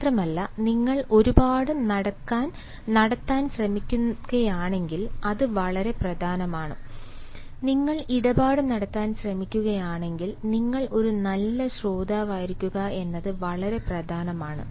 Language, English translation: Malayalam, if you are trying to have deal, it is very important for you to be a good listener